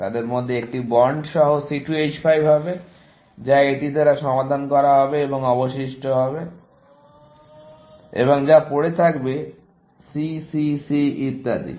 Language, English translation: Bengali, One of them will be the C2 H5 with a bond, which will be solved by this; and the remaining will be that; whatever remains here; C, C, C, and so on